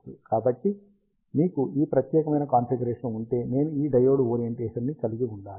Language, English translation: Telugu, So, if you have ah this particular configuration, I have to have this diode orientation appropriately